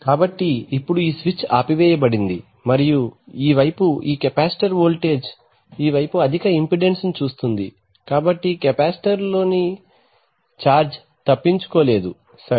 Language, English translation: Telugu, So now this switch is off and this capacitor voltage on this side sees high impedance on this side also sees high impedance so the charge in the capacitor cannot escape, right